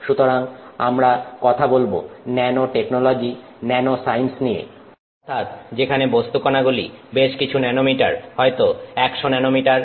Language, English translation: Bengali, So, we keep talking of nanotechnology, nanoscience and that means particles which are in the, you know, several tens of nanometers, maybe 100 nanometers